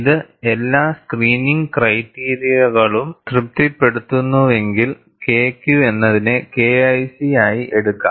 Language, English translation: Malayalam, If it satisfies all the screening criteria, then you say K Q can be taken as K1C